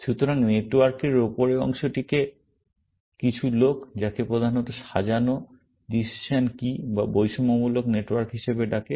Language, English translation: Bengali, So, the top part of the network is what some people called as a mainly sorted, decision key or discriminative network